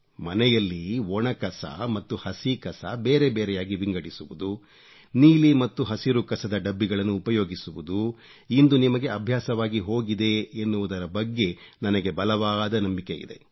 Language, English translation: Kannada, I am very sure that using blue and green dustbins to collect dry and wet garbage respectively must have become your habit by now